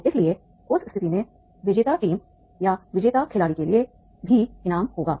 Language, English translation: Hindi, So therefore in that case there will be a reward for the winning team or winning player also